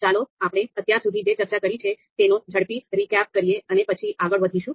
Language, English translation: Gujarati, So let us do a quick recap of what we have discussed till now and then we will move forward